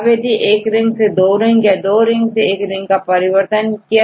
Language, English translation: Hindi, So, 1 ring with the 2 rings or 2 rings to the 1 rings